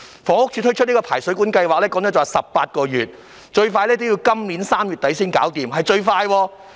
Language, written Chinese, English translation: Cantonese, 房屋署展開的排水管檢查計劃則需時18個月，最快要今年3月底才完成，這是最快的情況。, The Drainage Inspection Programme of HD will take 18 months and will only be completed by the end of March at the earliest . This is the fastest scenario . Secretary put yourself in their shoes